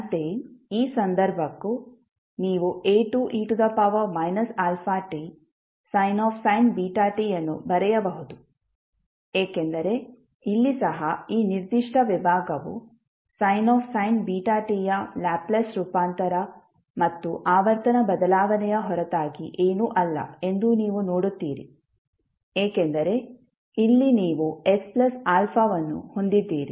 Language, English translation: Kannada, Similarly, for this case also, you can write A2 e to the power minus alpha t into sin beta t because here also you will see, that this particular segment is nothing but the Laplace transform of sin beta t plus the frequency shift because here you have s plus alpha